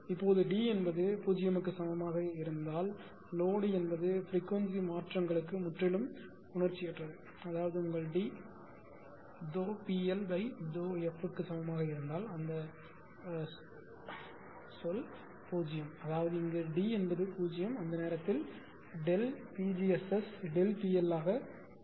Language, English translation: Tamil, now if D is equal to 0, say if D is equal to 0 I will load is totally insensitive to the changes is frequency D is 0; that means, your D is equal to delta P L upon a delta f if that term is 0; that means, here D is 0 say at the time delta Pg S S will become delta P L